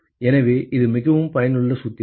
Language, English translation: Tamil, So, that is a very very useful formula